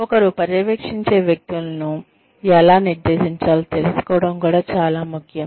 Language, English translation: Telugu, It is also important to know, how to direct people, who one supervises